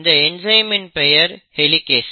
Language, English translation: Tamil, And this enzyme is called as Helicase